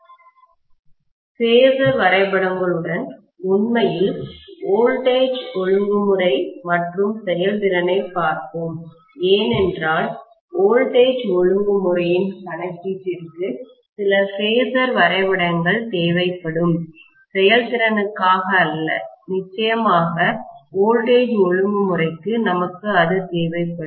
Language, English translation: Tamil, Then we will look at actually voltage regulation and efficiency along with phasor diagrams also, because some phasor diagrams will be needed for the calculation of you know voltage regulation, not for efficiency but definitely for voltage regulation we will need that, right